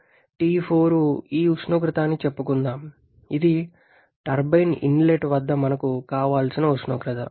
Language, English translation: Telugu, Then, let us say T4 is this temperature, which is our desirable temperature at the inlet to the turbine